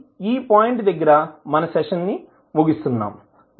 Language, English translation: Telugu, So now let us close our session at this point of time